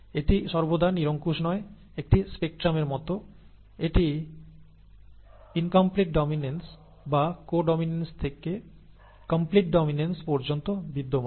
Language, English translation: Bengali, So this is not always absolute, a spectrum such as this exists from incomplete dominance or co dominance to complete dominance